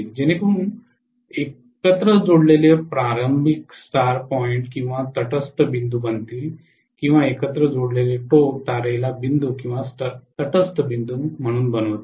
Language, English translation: Marathi, So that the beginnings connected together will make the star point or neutral point or the ends connected together will make the star to point or neutral point